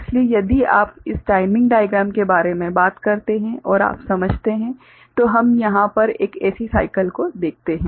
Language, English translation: Hindi, So, if you talk about this timing diagram based you know understanding then we look at one such cycle over here